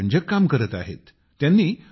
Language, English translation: Marathi, He isdoing very interesting work